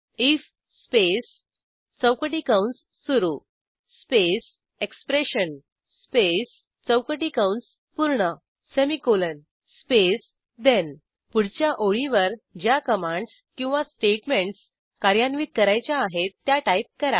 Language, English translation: Marathi, Now we will see the syntax for if statement if space opening square bracket space expression space closing square bracket semicolon space then On the next line,type commands or statements that you want to execute